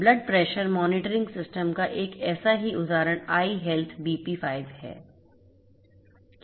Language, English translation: Hindi, One such example of blood pressure monitoring system is iHealth BP5